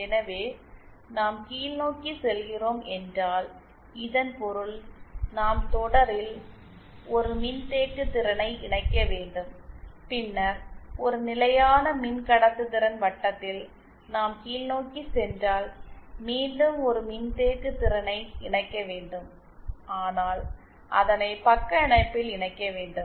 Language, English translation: Tamil, So, if we are going downwards, that means that we have to connect a capacitance in series and then once we are going downwards along a constant conductance circle we again have to connect a capacitance but in shunt